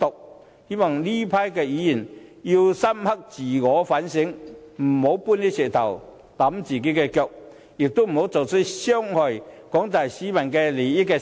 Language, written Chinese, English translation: Cantonese, 我希望這群議員會深刻自我反省，不要搬石頭砸自己的腳，亦不要做出傷害廣大市民利益的事。, I hope that these Members will reflect upon their actions and never do anything to jeopardize the interest of the general public which is no different to hitting their own feet with a rock